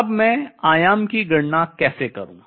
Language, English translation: Hindi, Now how do I calculate the amplitude